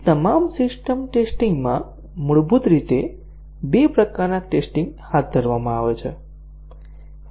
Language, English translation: Gujarati, So, in all the system testing there are basically two types of tests that are carried out